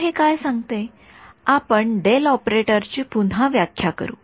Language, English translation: Marathi, So, what it says is let us reinterpret the del operator itself ok